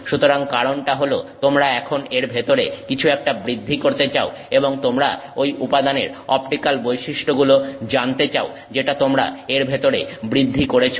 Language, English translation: Bengali, So, the reason being you are now growing to, going to grow something inside it and you want to know the optical property of that material that you have grown inside it